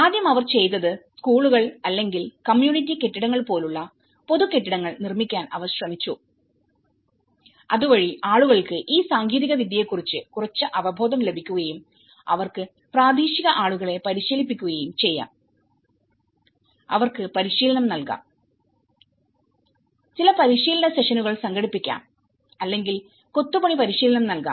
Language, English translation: Malayalam, First, they did was, they tried to construct the public buildings like schools or the community buildings so that people get some awareness of this technology and they could also train the local people, they could also train, give some training sessions or the masonry training sessions to the local people so that it can be spread out to the other places as well